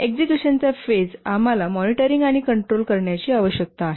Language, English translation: Marathi, In the execution phase we need to do monitoring and control